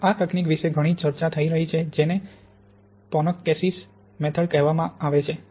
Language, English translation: Gujarati, Now there is a lot of discussion about this technique called the PONKCS method